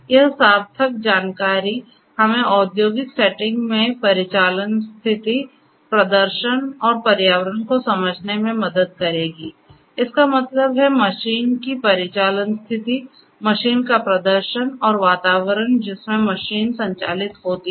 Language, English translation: Hindi, This in meaningful information will help us to understand the operational states, the performance and the environment in the industrial setting; that means, the operational states of the machine, the performance of the machine and the environment in which the machine operates